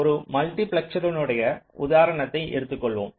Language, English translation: Tamil, we will take that same example of a multiplexor